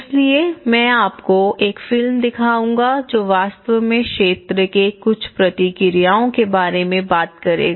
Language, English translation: Hindi, So, I will show you a movie and this will actually talk about a few responses from the field